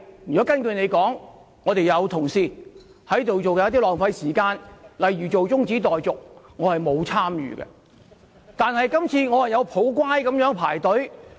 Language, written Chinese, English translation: Cantonese, 如果根據你所說，我們有同事在做一些浪費時間的事，例如提出中止待續議案，但我並沒有參與。, If some colleagues are doing something which is as you put it a waste of time such as proposing a motion on adjournment of debate I did not take part in it . I had been sitting quietly here waiting for my turn to speak